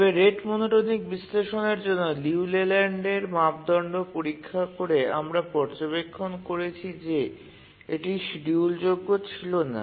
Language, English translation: Bengali, So, you can check the Leland criterion for the rate monotonic analysis, we find that it is unschedulable